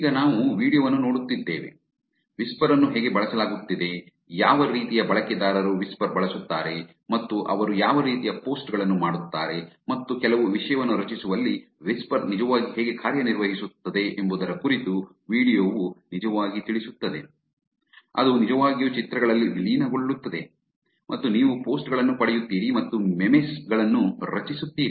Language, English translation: Kannada, Now, that we are seeing the video, the video actually talks about how whisper is being used, what kind of users get on whisper and what kind posts they do and how whisper actually works in creating some content, it actually gets merged onto images and you get posts and creating memes in other terms